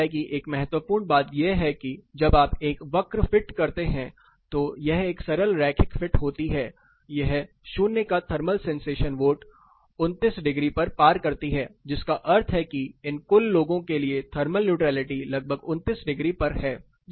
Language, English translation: Hindi, Similar thing one more important thing is when you fit a curve here this particular line is a simple linear fit, it crosses 29 degrees at thermal sensation vote of 0, which means the thermal neutrality for this total set of people is around 29 degree